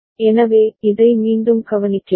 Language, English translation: Tamil, So, this we again take a note